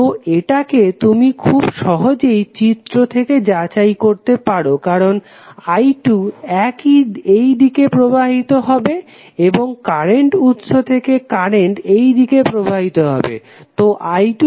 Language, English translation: Bengali, So, this you can easily verify from the figure because I 2 will flow in this direction and the current will from the current source will flow in this direction, so i 2 would be nothing but minus of 5 ampere